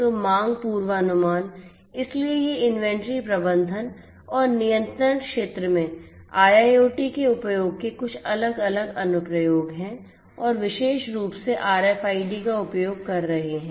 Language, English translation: Hindi, So, demand forecasting, so these are some of these different other applications of the use of IIoT in the inventory management and control sector and particularly using RFIDs